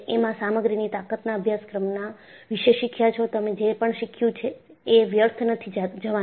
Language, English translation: Gujarati, The strength of material course, what you have done is not a waste